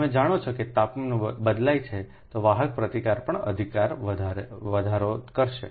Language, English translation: Gujarati, if you know that if temperature varies then conductor resistance also will increase